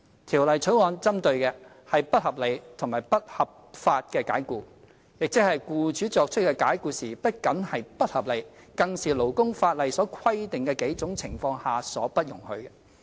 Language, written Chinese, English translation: Cantonese, 《條例草案》針對的，是不合理及不合法的解僱，即僱主作出的解僱不僅是不合理，更是勞工法例所規定的數種情況下所不容許的。, The Bill targets unreasonable and unlawful dismissals . In other words the dismissal by the employer should be unreasonable and has taken place under circumstances not permitted by labour legislation